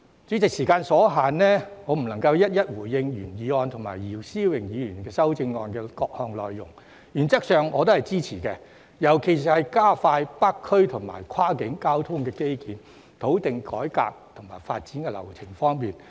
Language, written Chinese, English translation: Cantonese, 主席，時間所限，我不能夠逐一回應原議案及姚思榮議員的修正案的各項內容，原則上我都支持，尤其是在加快北區及跨境交通基建、土地改劃及發展流程方面。, President as time is running out I cannot respond to all the proposals in the original motion and Mr YIU Si - wings amendment . In principle I agree with all of them especially those about speeding up the development of transport infrastructure in the North District and across the border and expediting the land rezoning and development processes